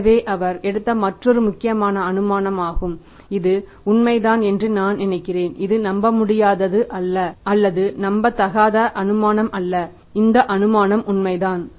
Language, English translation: Tamil, So this is the another important assumption he has taken and I think it is true it is not a unbelievable or the unrealistic assumption this assumption is true